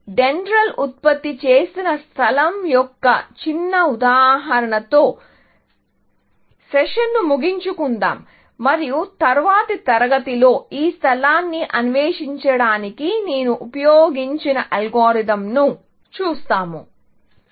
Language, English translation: Telugu, So, let me just end with a small example of the kind of space that DENDRAL generated, and in the next class, we will see the algorithms, which I used to explore this space